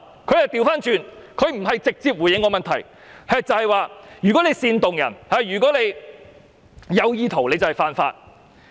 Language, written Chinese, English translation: Cantonese, "局長沒有直接回覆我的問題，反過來說如果煽動別人或有意圖便是犯法。, Instead of directly responding to my question the Secretary replied that it is an offence to incite other people to insult the national anthem or insult the national anthem with intent